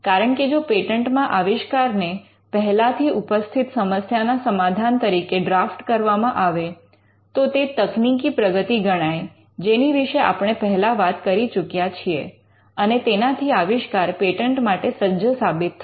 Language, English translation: Gujarati, Because if you draft an invention as a solution to an existing problem, it would demonstrate technical advance what we had covered earlier, and it would also qualify your invention as a patentable invention